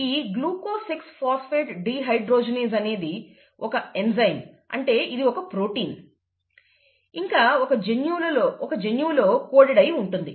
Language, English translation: Telugu, Again recall that ‘Glucose 6 Phosphate Dehydrogenase’; It is an enzyme, which means it is a protein, it is coded by a gene, right